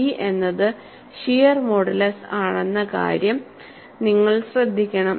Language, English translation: Malayalam, And you have to note that, G is the shear modulus